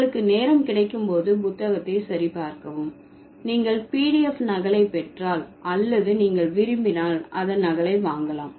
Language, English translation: Tamil, So, please check the book when you have time if you get the PDF copy or you can buy a copy of it if you want